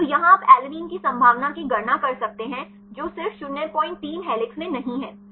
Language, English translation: Hindi, So, here you can calculate the probability of alanine which are not in helix just 0